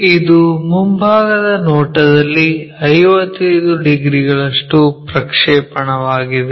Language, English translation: Kannada, It is projection on the front view makes 55 degrees